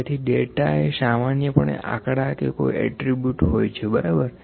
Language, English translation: Gujarati, So, generally, data is it may be numbers or it may be some attributes, ok